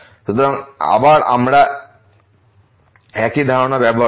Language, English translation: Bengali, So, again we will use the same idea